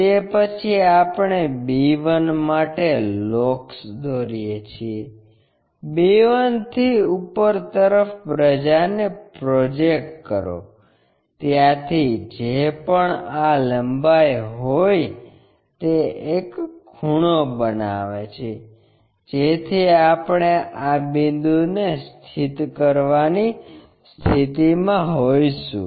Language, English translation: Gujarati, After, that we draw locus for b 1, from b 1 project it all the way up, whatever this length we have it from there make a angle, so that we will be in a position to locate this point